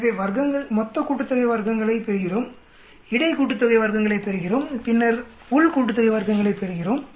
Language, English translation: Tamil, So we get the total sum of squares, we get the between sum of squares and then we get the within sum of squares